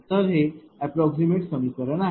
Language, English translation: Marathi, So, this is the approximate equation